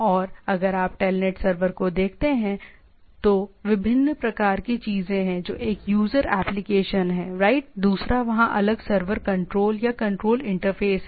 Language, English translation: Hindi, And if you look at the TELNET server have different type of things one is the user applications right, another is there are different server control or the control interface